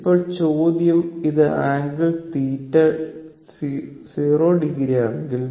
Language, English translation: Malayalam, We have seen before and it is angle is 0 degree